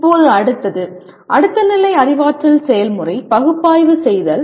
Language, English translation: Tamil, Now the next one, next level cognitive process is analyze